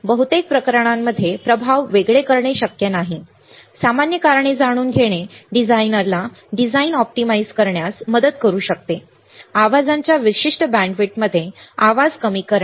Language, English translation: Marathi, It is not possible most of the cases to separate the effects, but knowing general causes may help the designer optimize the design, minimizing noise in particular bandwidth of the interest, bandwidth of interest